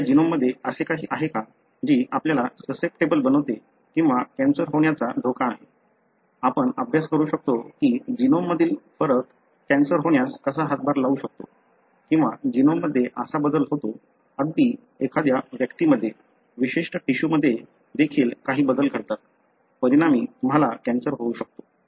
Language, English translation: Marathi, Is there anything that is there, signature in our genome that makes us susceptible or at risk of developing cancer, we can study or we can study even how variation in the genome may contribute to cancer or how change in the genome, even within a individual certain tissue, some change happens; as a result you have cancer